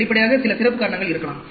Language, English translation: Tamil, Obviously, there could be some special cause